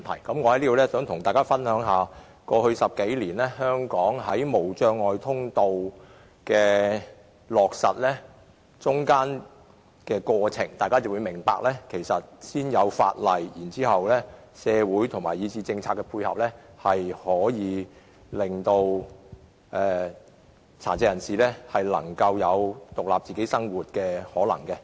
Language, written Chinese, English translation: Cantonese, 我想在此跟大家解釋香港在過去10多年落實無障礙通道的過程，大家便會明白先訂立法例，加上社會以至政策配合，便有可能讓殘疾人士過獨立生活。, Here I wish to explain to Members the process of materializing barrier - free access in the past 10 years or so in Hong Kong so as to enable Members to understand that the enactment of legislation followed by social and policy support can make it possible for persons with disabilities to live an independent life